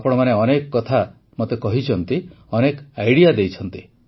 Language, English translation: Odia, There were many points that you told me; you gave me many ideas